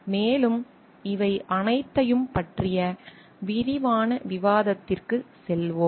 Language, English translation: Tamil, And we will go for a detailed discussion of all these things